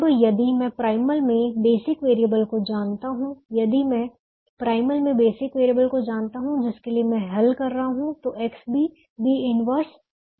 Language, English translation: Hindi, now the solution: if i, if i know the basic variables in the primal, if i know the basic variables that i am solving for, than x b is equal to b inverse b